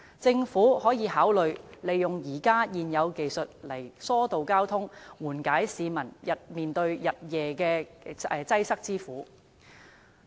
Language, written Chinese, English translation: Cantonese, 政府可以考慮利用現有技術疏導交通，以緩解市民日夜面對的擠塞之苦。, The Government may consider making use of existing technologies to divert traffic so as to ease the sufferings of the public as a result of round - the - clock traffic congestions